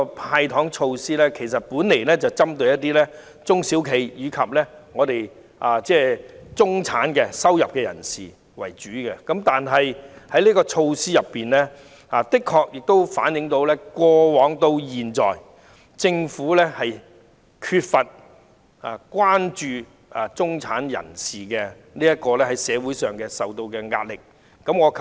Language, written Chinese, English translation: Cantonese, "派糖"措施原本是針對中小企及中收入人士為主，但這項稅務優惠措施卻的確反映政府由始至終對中產人士在社會上承受的壓力缺乏關注。, The measure of handing out candies was originally targeted mainly at small and medium enterprises and the middle class but this tax concession measure has indeed shown the Governments persistent lack of concern about the pressure facing the middle class in the community